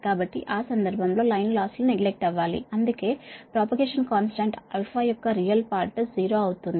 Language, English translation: Telugu, so in that case, if line losses are neglected, then the real part of the propagation constant, alpha, will become zero